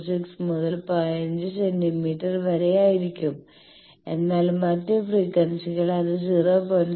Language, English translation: Malayalam, 26 into 15 centimetre, but at other frequencies it is not 0